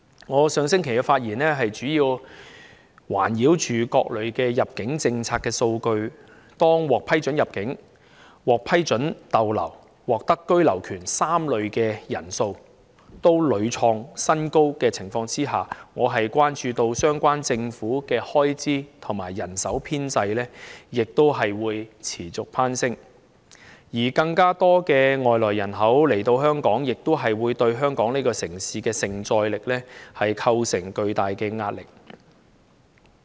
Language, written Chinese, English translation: Cantonese, 我上星期的發言內容，主要環繞各類入境政策的數據，在獲批准入境、獲批准逗留及獲得居留權3類人士的數目都屢創新高的情況下，我關注到相關的政府開支和人手需要亦將會持續攀升，而更多外來人口到港，亦會對香港這城市的承載力構成具大壓力。, The speech I made last week mainly centred on the statistics relating to various immigration policies . When the respective numbers of the three types of people namely people who are granted entry to Hong Kong people who are permitted to stay and people who are granted the right of abode have repeatedly set new highs I am concerned that the relevant Government expenditure and manpower requirements will also increase continuously . Besides the influx of more immigrants to Hong Kong will impose enormous pressure on the capacity of our city